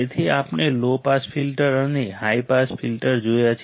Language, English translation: Gujarati, So, we have seen low pass filter and high pass filter